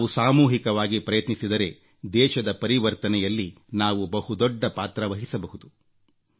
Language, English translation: Kannada, We will play a big role in the transformation of the nation, if we make a collective effort